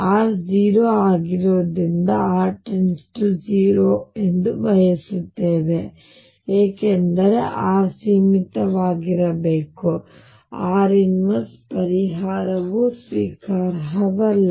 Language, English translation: Kannada, We want u r over r to be finite as r tends to 0 because r should remain finite, and therefore r raise to minus l solution is not acceptable